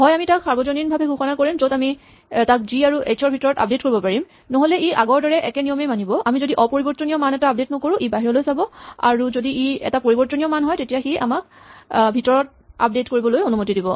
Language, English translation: Assamese, So, either we will declare it global in which case we can update it within g or h or it will use the same rule as before if we do not update an immutable value it will look outside and if it is a mutable value it will allow us to update it from inside